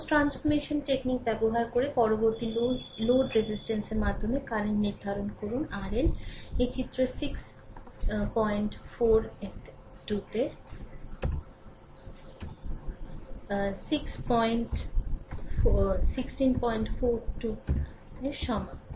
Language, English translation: Bengali, Next one using source transformation technique, determine the current through load resistance R L is equal to 4 ohm in this figure 16 right